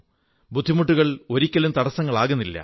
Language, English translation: Malayalam, Hardships can never turn into obstacles